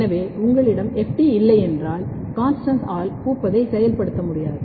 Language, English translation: Tamil, So, if you do not have FT, CONSTANST is not able to activate the flowering